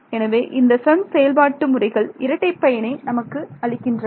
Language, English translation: Tamil, So, these are like double advantage of FEM methods